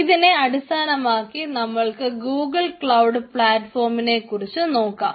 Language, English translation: Malayalam, so today we will discuss about ah google cloud platform